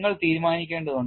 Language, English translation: Malayalam, You will have to decide